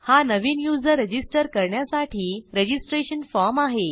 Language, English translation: Marathi, This is the registration form to register as a new user